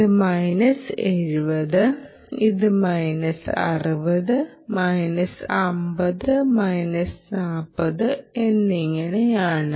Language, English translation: Malayalam, ok, this is minus seventy, this is minus sixty minus fifty, minus forty, and so on